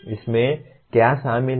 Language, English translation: Hindi, What does it include